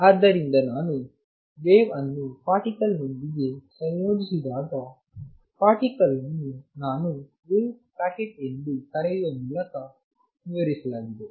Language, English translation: Kannada, So, to conclude when I associate a wave with a particle: the particle, particle is described by what I call a wave packet